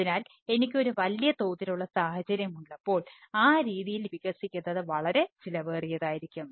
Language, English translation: Malayalam, that when i have a large scale scenario, then expanding in that fashion may be pretty costly ah